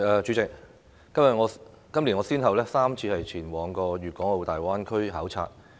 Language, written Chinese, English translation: Cantonese, 主席，我今年先後3次前往粵港澳大灣區考察。, President I have gone on three fact - finding visits to the Guangdong - Hong Kong - Macao Greater Bay Area this year